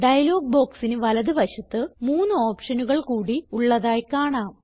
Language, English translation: Malayalam, There are three more options on the right hand side of the dialog box